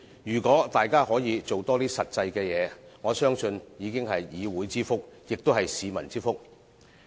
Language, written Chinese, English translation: Cantonese, 如果大家可以多做實際的事，我相信已經是議會之福，也是市民之福。, If we can take more practical measures I trust it will bring benefits to both the Council and the public